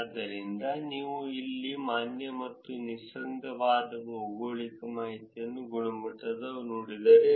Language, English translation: Kannada, So, if you look at here quality of valid and unambiguous geographic information